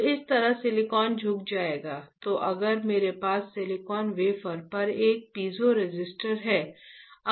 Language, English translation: Hindi, So, this is how the silicon will bend, then if I have a piezoresistor on the silicon wafer